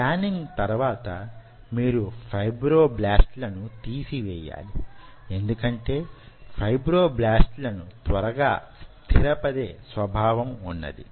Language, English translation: Telugu, i told you how you are removing the fibroblasts, because the fibroblasts will be settling down faster